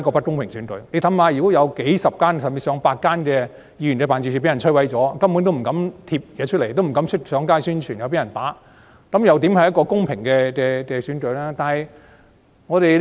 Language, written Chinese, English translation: Cantonese, 試想想，當有數十間甚至上百間議員辦事處被摧毀，大家根本不敢張貼宣傳品或上街宣傳，怕會被毆打，這又怎算得上是公平的選舉？, Now think about this . Seeing that dozens of or even a hundred ward offices had been devastated people simply dared not affix publicity materials or campaign on the streets for fear that they would be assaulted . How could there be fair elections then?